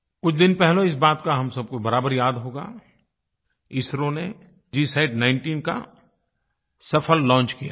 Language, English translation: Hindi, We are all aware that a few days ago, ISRO has successfully launched the GSAT19